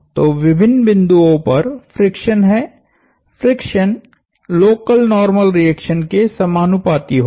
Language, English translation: Hindi, So, is the friction at different points, the friction would be proportional to the local normal reaction